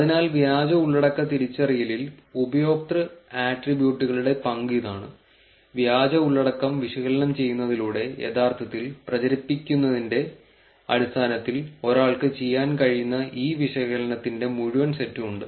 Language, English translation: Malayalam, So, that is the role of user attributes in fake content identification and there is this whole set of analysis that one can do in terms of actually propagating, analysing the fake content